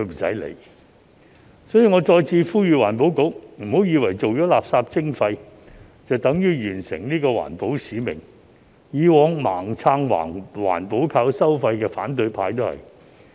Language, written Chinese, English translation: Cantonese, 所以，我再次呼籲環境局，別以為做了垃圾徵費便等於完成環保使命，以往盲撐"環保靠收費"的反對派亦然。, Therefore I call on EB once again not to think that its environmental mission is accomplished by implementing waste charging . This also applies to the opposition camp which blindly supported protecting the environment through levies in the past